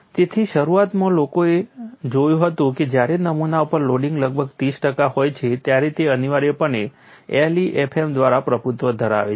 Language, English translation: Gujarati, So, what people initially looked at was when the loading on the specimen is about 30 percent, it is essentially dominated by LEFM